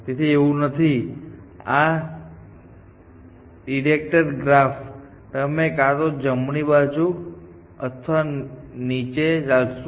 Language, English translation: Gujarati, So, it is not, it is a directed graph, you can only move either to the right or down